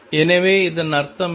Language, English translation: Tamil, So, what is that mean